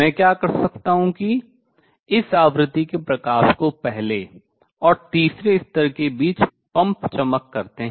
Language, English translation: Hindi, What I can do is pump shine light of this frequency between the first and the third level